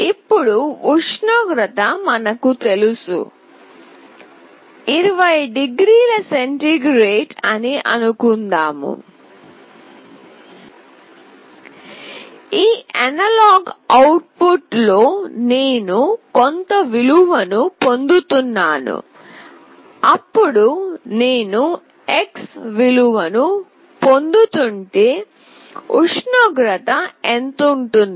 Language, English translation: Telugu, If we know that now the temperature is, let us say 20 degree centigrade, I am getting certain value in my analog output, then if I am getting x value, what will be the temperature